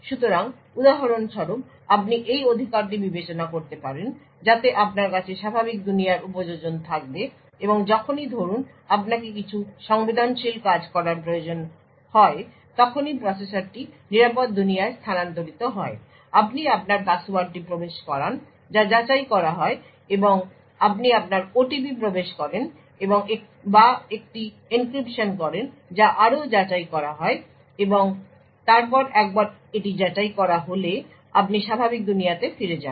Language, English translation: Bengali, So for example you could consider this right so you would have normal world applications and whenever for example you require to do some sensitive operation the processor shifts to the secure world you enter your password which gets authenticated or you enter your OTP or do an encryption which further gets verified and then once it is verified you switch back to the normal world